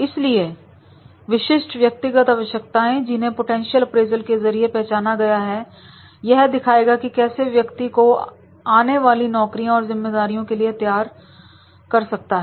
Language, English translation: Hindi, So potential appraisals that specific individual needs which have been identified through the potential appraisal and that will demonstrate that is how that one can develop himself for the future jobs and future responsibilities